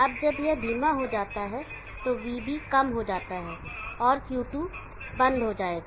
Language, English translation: Hindi, Now when this goes slow, VB go slow, Q2 will go off